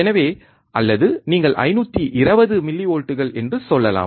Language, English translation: Tamil, So, or you can say 520 millivolts